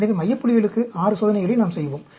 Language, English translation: Tamil, So, we will be doing 6 experiments for the center points